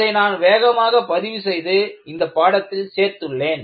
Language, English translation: Tamil, And, I quickly got that recorded and included as part of the course material